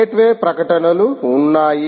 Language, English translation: Telugu, gateway advertisement exists